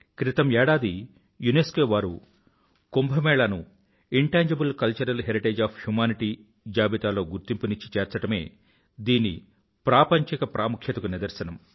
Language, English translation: Telugu, It is a measure of its global importance that last year UNESCO has marked Kumbh Mela in the list of Intangible Cultural Heritage of Humanity